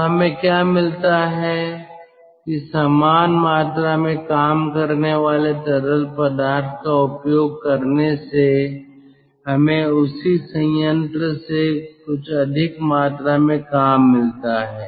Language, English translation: Hindi, that using the same amount of working fluid we get some more amount of work out of the same plant